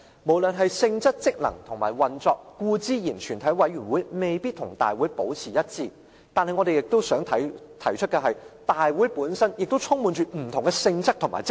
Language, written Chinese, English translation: Cantonese, 無論是性質、職能和運作，全體委員會固然未必與大會保持一致，但我亦想提出的是，大會本身亦充滿不同性質和職能。, A committee of the whole Council and the Council may not be the same in respect of the nature function and operation but we have to note that the Council itself also has different natures and functions